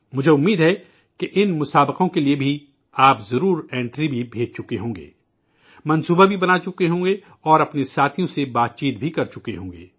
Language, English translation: Urdu, I hope that you certainly must have sent in your entries too for these competitions…you must have made plans as well…you must have discussed it among friends too